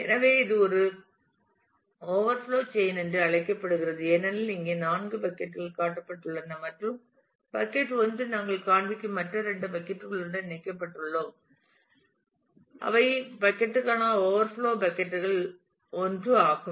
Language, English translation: Tamil, So, this is called a overflow chaining as you can see there are 4 buckets shown here and bucket 1 we are saying showing are connected with other two buckets which are the overflow buckets for bucket 1